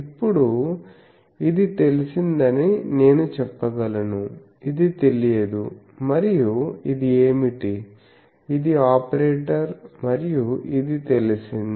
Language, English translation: Telugu, Now I can say this is known, this is unknown and what is this, this is an operator and this is known